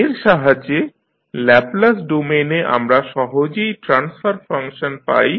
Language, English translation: Bengali, So, with the help of this in Laplace domain we can get easily the transfer function